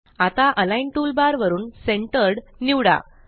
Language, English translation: Marathi, Now, from the Align toolbar, let us select Centered